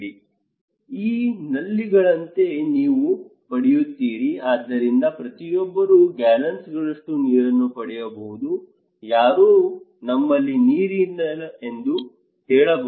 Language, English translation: Kannada, Like this tap, you get, so each one we can get gallons and gallons of water okay, who said we do not have water